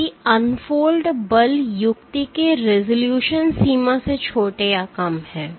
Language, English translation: Hindi, If unfolding forces are smaller are lower than the resolution limit of the instrument